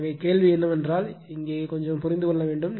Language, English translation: Tamil, So, question is that that here little bit you have to understand right